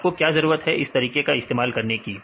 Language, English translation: Hindi, why do you need to use your method